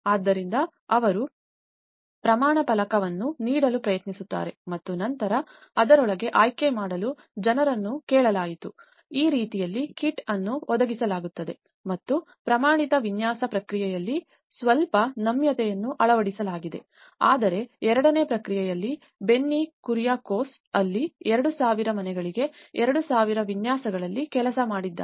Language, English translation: Kannada, So, they try to give a template over and then people were asked to choose within that so in that way, the kit is provided and there is a little flexibility adopted in the standardized design process whereas in the second process of application, where Benny Kuriakose have worked on 2,000 designs for 2,000 houses